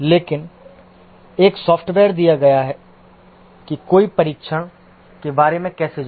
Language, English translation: Hindi, But given a software, how does one go about testing